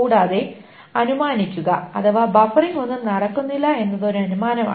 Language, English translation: Malayalam, And assume, this is an assumption that no buffering is being done